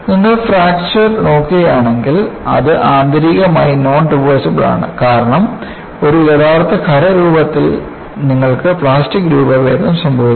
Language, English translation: Malayalam, See, if you look at fracture, it is intrinsically non reversible because in an actual solid, you will have plastic deformation